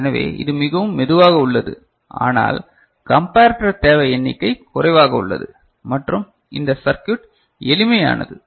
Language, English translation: Tamil, So, it is much slower, but number of comparator requirement is less and this circuit is simpler ok